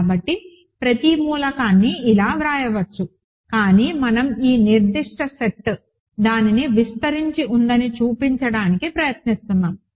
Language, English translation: Telugu, So, every element can be written like that, but we are trying to show that this particular set spans it